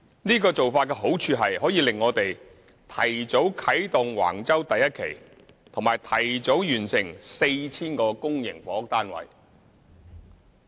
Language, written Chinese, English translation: Cantonese, 這個做法的好處是可令我們提早啟動橫洲第1期，以及提早完成 4,000 個公營房屋單位。, The advantage of this approach is that the development of Wang Chau Phase 1 can be carried out first and 4 000 public housing units will be completed earlier